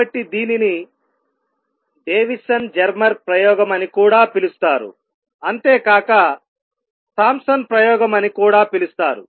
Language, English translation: Telugu, So, this is what is known as Davisson Germer experiment also Thompson’s experiment